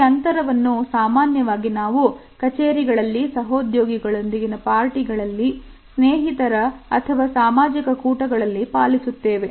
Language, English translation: Kannada, This is the distance which we normally maintain at workplace during our office parties, friendly social gatherings etcetera